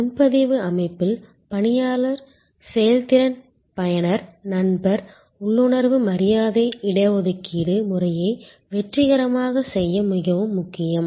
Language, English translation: Tamil, In the reservation system of course, the staff performance the user friend inners the politeness the responsiveness are very important to make the reservation system successful